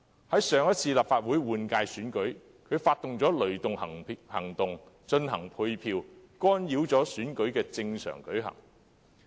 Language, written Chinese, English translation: Cantonese, 在上次立法會換屆選舉中，他更策劃"雷動計劃"進行配票，干擾選舉正常運作。, During the previous Legislative Council Election he even orchestrated the ThunderGo campaign for allocating votes in order to interfere with the normal operation of the election